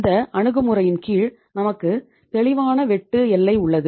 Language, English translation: Tamil, That under this approach we have clear cut demarcation